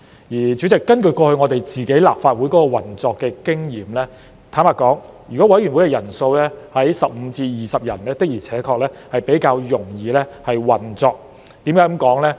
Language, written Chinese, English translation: Cantonese, 代理主席，根據我們立法會過去的運作經驗，坦白說，如果委員會的人數為15至20人，確實較容易運作。, Deputy President based on the operating experience of our Legislative Council in the past to be frank it is indeed easier for a committee to operate with a membership of 15 to 20